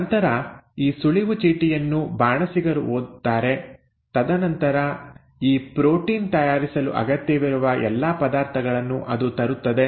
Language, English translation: Kannada, So this cue card is then read by the chef and then it will bring in all the necessary ingredients which are needed to make this protein